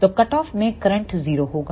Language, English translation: Hindi, So, at the cut off the current will be 0